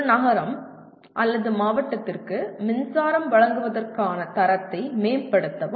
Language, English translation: Tamil, Improve the quality of power supply to a city or a district